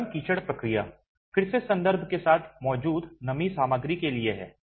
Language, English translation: Hindi, The soft mud process, again the references with is to the moisture content present